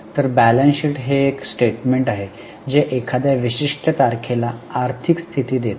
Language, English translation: Marathi, So, balance sheet is a statement which gives the financial position as at a particular date